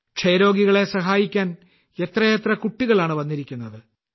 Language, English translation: Malayalam, There are many children who have come forward to help TB patients